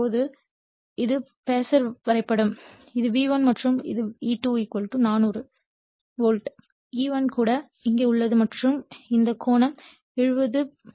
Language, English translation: Tamil, So, now this is the phasor diagram, this is your V1 and this is your E2 = 400 volts, E1 is also here and this angle is 70